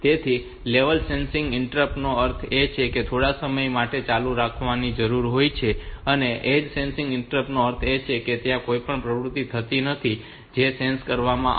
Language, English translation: Gujarati, So, edge so level sensitive interrupt means they need to be turned on for quite some time and edge means that some it will be any activity occurring so will get sensed